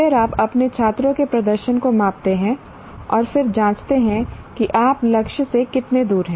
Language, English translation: Hindi, Then you measure the performance of your students and then check how far you are from the target